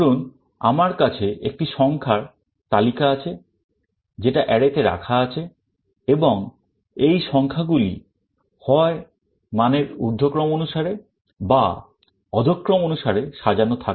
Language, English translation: Bengali, Just assume that I have a list of numbers which are stored in an array, and these numbers are sorted in either ascending or descending order